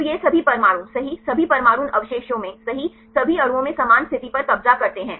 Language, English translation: Hindi, So, the all these atoms right these atoms in this residue right occupy the same position in all the molecules